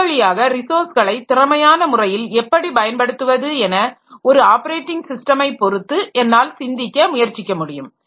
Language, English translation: Tamil, So, this way I can try to think in terms of operating system operation like how can I utilize this resources in an efficient manner